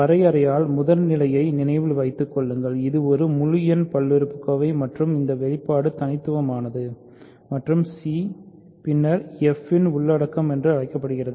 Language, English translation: Tamil, Remember primitive by definition means it is an integer polynomial and this expression is unique and c is then called the content of f